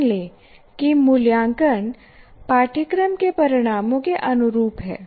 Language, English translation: Hindi, So let's say we assume assessment is in alignment with the course outcomes